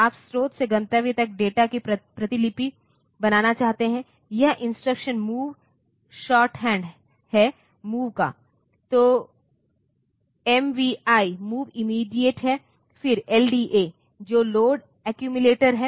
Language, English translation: Hindi, Like, you can say the this instructing move MOV stands for move shorthand for move, when MVI move immediate, then LDA, which is load accumulator